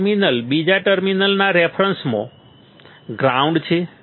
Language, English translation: Gujarati, One terminal is ground with respect to the second terminal right